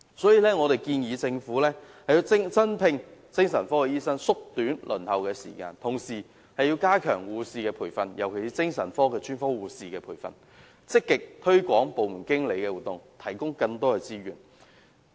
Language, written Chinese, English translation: Cantonese, 所以，我們建議政府增聘精神科醫生，縮短輪候時間，同時加強護士培訓，尤其是精神科專科護士的培訓，積極推廣個案經理的服務，提供更多資源。, Hence we propose that the Government should recruit additional psychiatric doctors and shorten the waiting time while strengthening the training of nurses particularly psychiatric nurses actively promoting the services provided by case managers and providing more resources